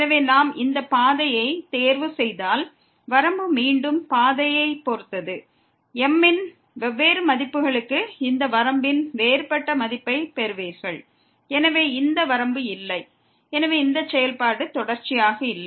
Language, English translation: Tamil, So, again we see that if we choose this path, then the limit depends on the path again; for different values of you will get a different value of this limit and therefore, this limit does not exist and hence this function is not continuous